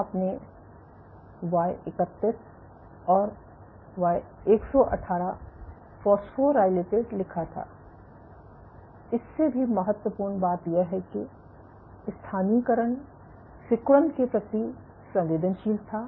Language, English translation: Hindi, So, you had wrote Y31 and Y118 phosphorylated and more importantly it is localization was sensitive to contractility